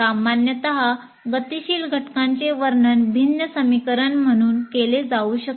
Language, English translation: Marathi, And normally a dynamic element can be described as a differential equation